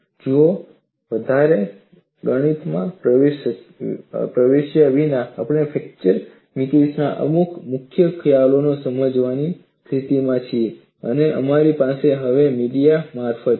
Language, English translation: Gujarati, See, without getting into much mathematics, we are in a position to understand certain key concepts in fracture mechanics and we have a via media now